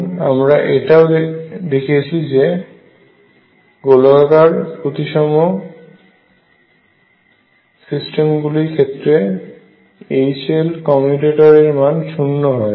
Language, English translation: Bengali, And we also seen that for this spherically symmetric systems H L is 0